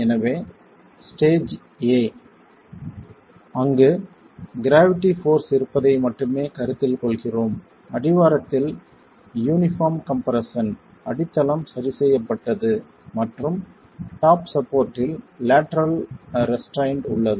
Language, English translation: Tamil, So, stage A where we are considering only the presence of gravity forces, uniform compression at the base, the base is fixed and you have the lateral restraint at the top support